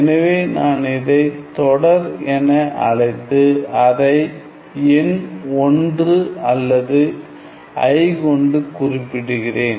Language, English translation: Tamil, So, one represents so let me just call this series and denote it by this number 1 or i